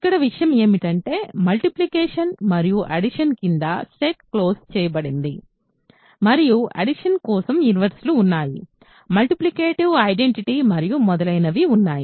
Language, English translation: Telugu, So, here the point is to check that the set is closed under products and sums and there are inverses for addition, there is multiplicative identity and so on